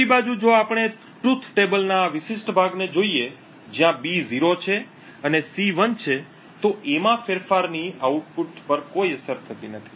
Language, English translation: Gujarati, On the other hand if we look at this particular part of the truth table, where B is 0 and C is 1 the change in A has no effect on the output